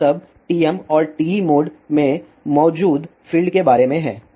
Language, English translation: Hindi, This is all about the fields present in TM and TE modes